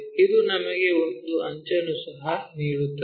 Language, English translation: Kannada, This one also it gives us an edge